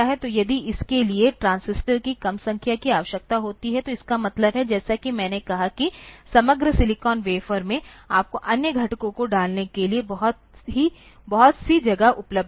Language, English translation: Hindi, So, if it requires less number of transistors, means, as I said that in the overall silicon wafer you have got lot of space available for other components to be put into